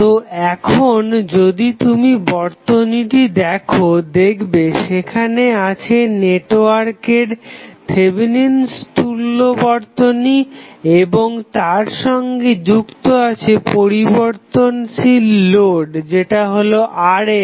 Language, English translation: Bengali, So, now, if you see the circuit which is having the Thevenin equivalent of the network and then the variable load that is Rn connected